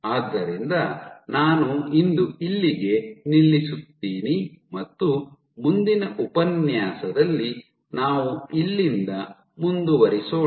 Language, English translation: Kannada, So, I stop here for today and we will continue from here in the next lecture